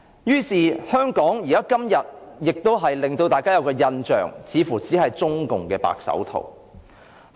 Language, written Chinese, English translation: Cantonese, 於是，香港今天給大家的印象似乎只是中共的"白手套"。, Hence the only impression that Hong Kong gives today seems to be the white gloves of CPC